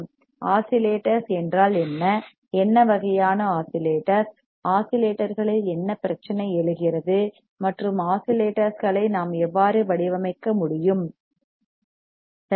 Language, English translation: Tamil, What are oscillators, what are kind of oscillators, what are the problem arises with oscillators, and how we can design oscillators alright